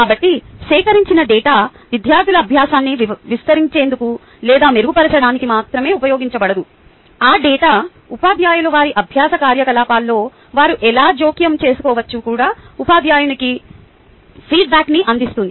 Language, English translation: Telugu, so the data collected is not just ah used to enhance or improve student learning, but the data also provides feedback to the teacher as how they can intervene their teaching learning activity